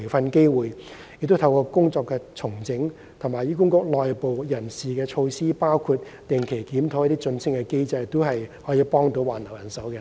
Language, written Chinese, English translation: Cantonese, 我們會透過工作重整及醫管局內部人事措施，包括定期檢討晉升機制，以助挽留人手。, We will try to retain manpower by work reorganization and the internal personnel measures of HA including regular review of the promotion mechanism